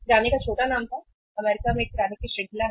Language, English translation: Hindi, The small name of the grocer was, is a grocery chain in US